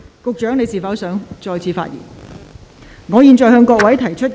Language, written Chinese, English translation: Cantonese, 局長，你是否想再次發言？, Secretary do you wish to speak again?